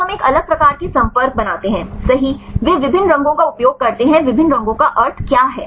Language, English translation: Hindi, So, we are make a different types of contacts right they use different colors what is the meaning of different colors